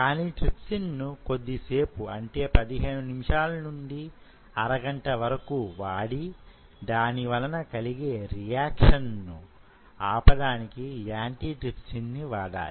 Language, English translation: Telugu, But if you use trypsin, you have to ensure you use it for a small period of time, say 15 minutes to half an hour, and 15 minutes to half an hour, and then you use an antitripsin to stop that reaction